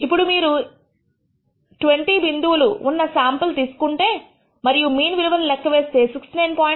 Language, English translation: Telugu, Now, if you take this sample of 20 points and compute the mean, you get a value of 69